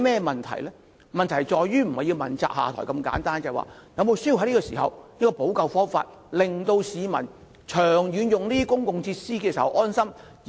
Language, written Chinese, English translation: Cantonese, 問題不是誰人要問責下台如此簡單，此刻是否需要想出補救方法，令市民可以安心長遠使用公共設施？, The question is not simply who should be held accountable and step down but whether it is necessary to formulate remedial measures now so as to gain the publics confidence in using public facilities in the long term